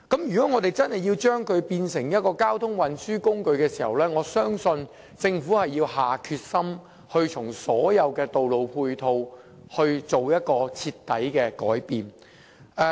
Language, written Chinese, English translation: Cantonese, 如果真的要把單車變成一種交通運輸工具，我相信政府要下定決心，在各項道路配套上作出徹底的改變。, If bicycles are to be turned into a mode of transport I believe the Government has to drum up the resolve to initiate radical changes in road ancillary facilities